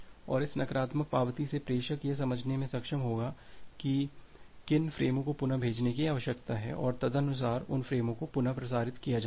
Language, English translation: Hindi, And from this negative acknowledgment the sender will be able to understand that which frames needs to be retransmitted and accordingly those frames are being retransmitted